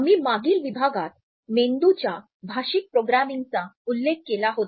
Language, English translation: Marathi, In the previous module we had referred to Neuro linguistic Programming